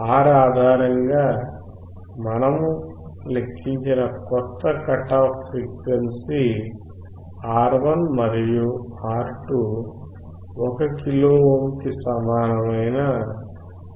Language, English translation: Telugu, The new cut off frequency that we have calculated based on R1 and R2, equal to 1 kilo ohm, is 1